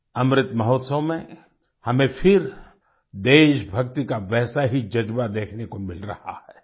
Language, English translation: Hindi, We are getting to witness the same spirit of patriotism again in the Amrit Mahotsav